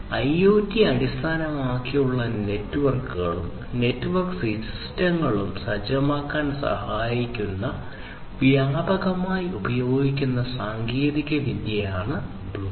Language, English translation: Malayalam, So, Bluetooth is a widely used technology which can help in setting up IoT based networks and network systems